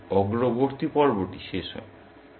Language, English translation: Bengali, There, the forward phase ends